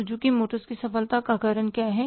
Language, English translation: Hindi, What is the reason for the success of the Suzuki motors